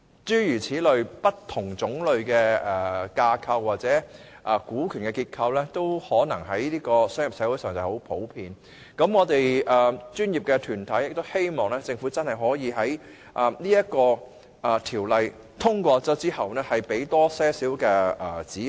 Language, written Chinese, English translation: Cantonese, 這些不同類型的架構或股權結構，在商業社會是很普遍的，所以我們的專業團體希望政府可以在《條例草案》獲通過後提供更多指引。, Such frameworks or shareholding structures exist in different forms and are very common in a commercial society . In view of this our professional organizations hope that the Government can provide more guidelines after the passage of the Bill